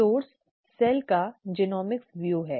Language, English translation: Hindi, The source is Genomics view of the cell